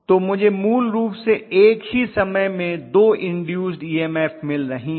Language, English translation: Hindi, So I am going to have basically two EMF induced at the same time